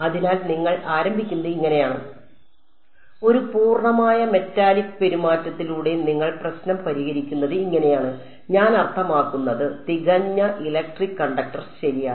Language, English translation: Malayalam, So, this is how you would start, I mean this is how you would solve problem with a perfect metallic conduct I mean perfect electric conductor ok